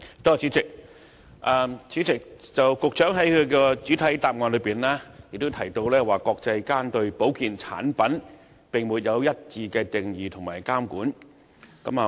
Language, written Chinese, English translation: Cantonese, 主席，局長在主體答覆中提到國際上對保健產品並沒有一致的定義及監管。, President the Secretary mentioned in the main reply that there is no international standard on the definition and regulation of health products